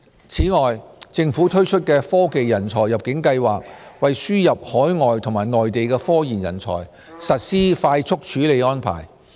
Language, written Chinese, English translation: Cantonese, 此外，政府推出的"科技人才入境計劃"，為輸入海外和內地科研人才，實施快速處理安排。, In addition the Government has introduced the Technology Talent Admission Scheme the Scheme to provide a fast - track arrangement to admit overseas and Mainland research and development talents to Hong Kong